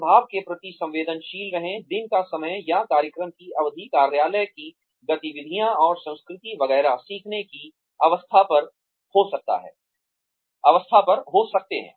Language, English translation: Hindi, Be sensitive to the impact, the time of the day, or duration of the program, office activities and culture, etcetera, can have on the learning curve